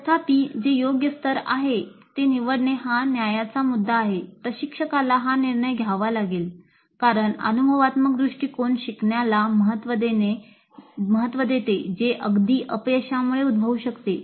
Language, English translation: Marathi, However the choice of what is the right level is an issue of judgment instructor has to make this judgment because experiential approach values learning that can occur even from failures